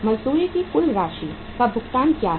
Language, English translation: Hindi, What is the total amount of wages paid